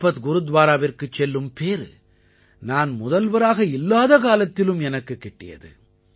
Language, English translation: Tamil, I had the good fortune of visiting Lakhpat Gurudwara when I was not even the Chief Minister